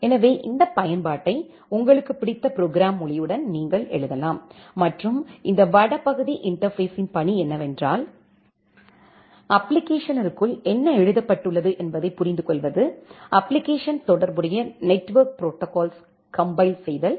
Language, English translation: Tamil, So, you can write down this application with your favorite programming language and the task of this northbound interface is to understand, what is written inside the application, compile the application to the corresponding network protocol